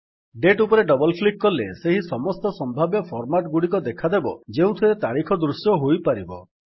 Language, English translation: Odia, Double clicking on the date shows all the possible formats in which the date can be displayed